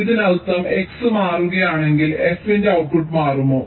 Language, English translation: Malayalam, this means if x changes, does the output of f changes